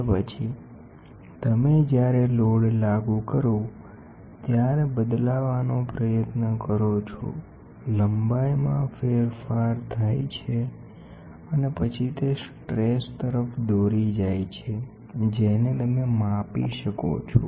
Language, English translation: Gujarati, And then, you try to change the when you apply load, there is a change in length and then that leads to resistance you can measure